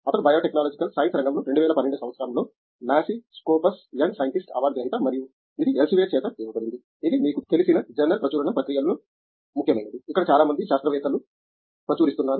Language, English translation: Telugu, He is also NASI Scopus Young Scientist Award winner in the year of 2012 in the field of Biological Sciences and this is given by Elsevier which is you know, body of a journal publication process which you know, which is where lot of scientists publish